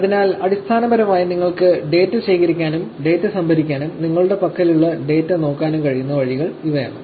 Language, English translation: Malayalam, So, essentially, these are the ways by which you can collect the data, store the data and look at the data that is available with you